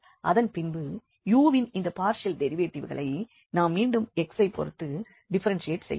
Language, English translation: Tamil, And then again once more the partial derivatives of this u we can differentiate this again with respect to to x